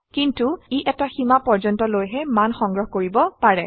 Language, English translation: Assamese, But it can only store values up to a limit